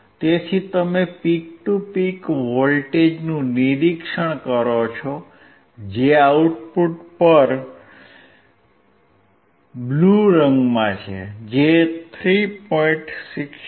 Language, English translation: Gujarati, So, you observe the peak to peak voltage, at the output which is in blue colour which is 3